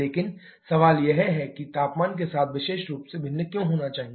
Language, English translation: Hindi, But the question is why is specifically should vary with temperature